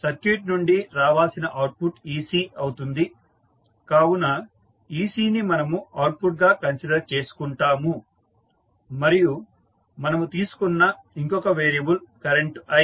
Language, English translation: Telugu, So, the output which is required from the particular circuit is ec, so ec we consider as an output also and then the other variable which we have is current i, so, we have got these two nodes